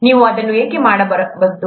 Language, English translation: Kannada, Why don’t you do that